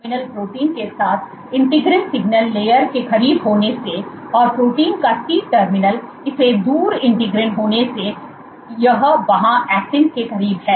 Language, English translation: Hindi, With the N terminal protein closer to the integrin signal layer, and the C terminal of the protein being away from it , it is closer to the actin there